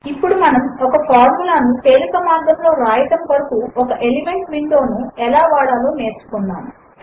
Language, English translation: Telugu, Now we learnt how to use the Elements window to write a formula in a very easy way